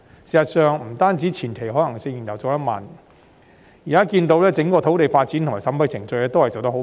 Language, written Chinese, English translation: Cantonese, 事實上，不單前期可行性研究做得緩慢，現在我們看到整個土地發展和審批程序均做得甚緩慢。, In fact apart from the slow progress of the preliminary feasibility studies we also witnessed that the whole processes of land development and approval are also quite slow